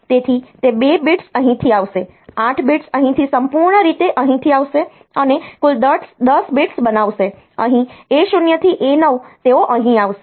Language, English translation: Gujarati, So, those 2 bits will be coming from here, 8 bits will come from here totally making a 10 bits here A 0 to A 9 they will come here